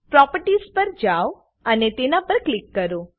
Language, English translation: Gujarati, Navigate to Properties and click on it